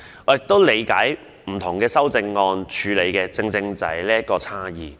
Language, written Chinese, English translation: Cantonese, 我也理解不同修正案所處理的正正是這種差異。, I also understand that the various amendments all aim at dealing with these differential treatments